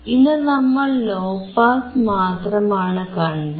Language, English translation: Malayalam, Today we have just seen the low pass